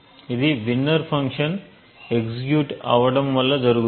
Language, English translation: Telugu, So, this happens because the winner function gets executed